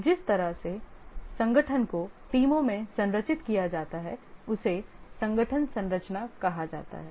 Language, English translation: Hindi, The way the organization is structured into teams is called as the organization structure